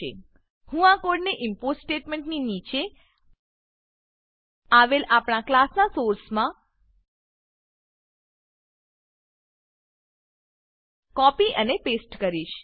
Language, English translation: Gujarati, I will copy and paste this code snippet Into the source of our class below the import statements